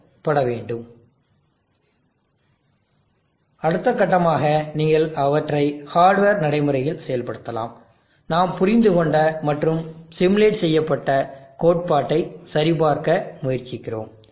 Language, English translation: Tamil, So you see that the hill climbing algorithm we have implemented, the next step we would be for you to practically implement them in hardware and try to validate the theory that we have understood and simulated